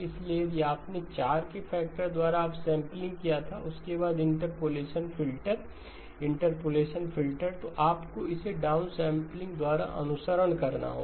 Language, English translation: Hindi, So if you had done the upsampling by a factor of 4 followed by the interpolation filter, interpolation filter, then you have to follow it by the downsampling